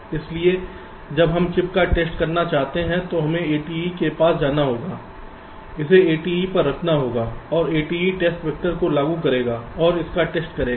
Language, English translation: Hindi, so when you want to test the chip, we have to go near the a t e, put it on the a t e and a t e will be just applying the test vectors and test it